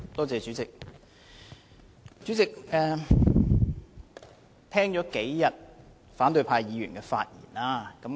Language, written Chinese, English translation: Cantonese, 主席，我聽了反對派議員發言好幾天。, President I have been listening to the speeches made by opposition Members for a couple of days